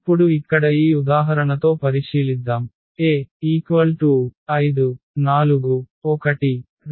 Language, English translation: Telugu, So now here let us consider this example with A 5 4 and 1 2